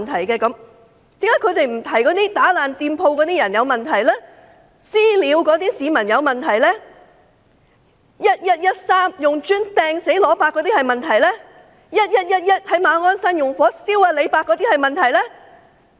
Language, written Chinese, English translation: Cantonese, 為何他們卻不提及那些破壞店鋪、"私了"市民、在11月13日用磚頭擲死"羅伯"，以及在11月11日於馬鞍山縱火燒傷"李伯"的那些人有問題呢？, Why did they not mention that those people who vandalized shops launched vigilante attacks on members of the public killed an old man Mr LUO by hurling bricks at him on 13 November and injured another old man Mr LEE in Ma On Shan by setting fire on him on 11 November have problems?